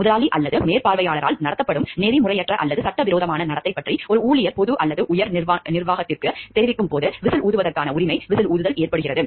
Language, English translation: Tamil, The right to whistle blowing, the whistle blowing occurs when an employee informs the public or higher management of unethical or illegal behavior being conducted by an employer or supervisor